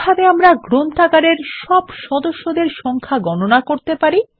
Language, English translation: Bengali, How can we get a count of all the members in the library